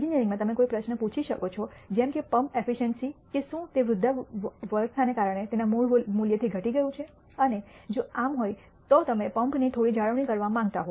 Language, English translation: Gujarati, In engineering you can ask a question such as a pump e ciency whether it has degraded from its original value due to aging and if so you may want to do some maintenance of the pump